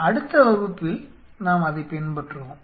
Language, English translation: Tamil, We will follow it up in the next class